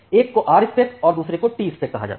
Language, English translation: Hindi, So, one is called the Rspec another one is called the Tspec